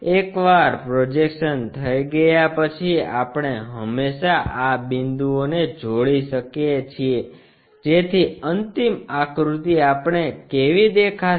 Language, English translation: Gujarati, Once the projection is done, we can always join these points to have final figure what we are about to see